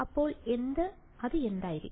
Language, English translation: Malayalam, So, what will that be